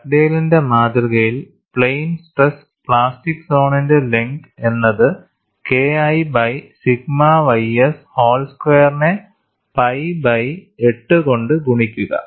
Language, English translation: Malayalam, And in Dugdale’s model, the plane stress plastic zone length is pi by 8 multiplied by K 1 by sigma ys whole square